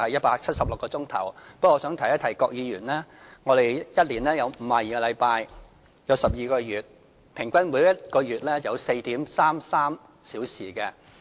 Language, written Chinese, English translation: Cantonese, 不過，我想提一提郭議員，我們一年有12個月，合共52個星期，即平均每個月有 4.33 周。, Nevertheless I would like to remind Mr KWOK that there are 12 months or 52 weeks in a year . In other words the average number of weeks in a month is 4.33